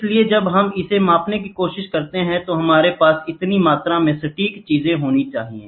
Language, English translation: Hindi, So, when we try to measure it we should have such amount of precision things